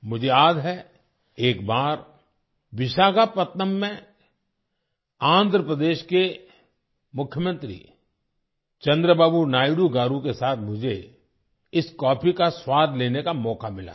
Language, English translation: Hindi, I remember once I got a chance to taste this coffee in Visakhapatnam with the Chief Minister of Andhra Pradesh Chandrababu Naidu Garu